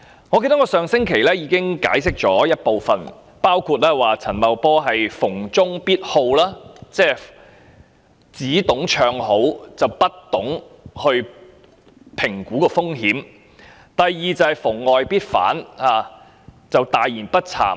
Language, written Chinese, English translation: Cantonese, 我記得我上星期已給予部分解釋，包括陳茂波逢中必好，只懂唱好，不懂評估風險；以及第二，是他逢外必反，大言不慚。, As I remember I already explained some of the reasons last week including Paul CHANs indiscriminate liking for anything Chinese . He is only good at singing praises but ignorant about risk assessment . The second reason is his indiscriminate opposition to anything foreign and also shameful talks